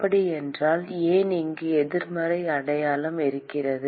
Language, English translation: Tamil, So, why is there is a negative sign here